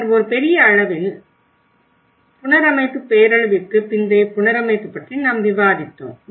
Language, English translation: Tamil, And then in a large amount, I think in the whole course we discussed about the reconstruction, the post disaster reconstruction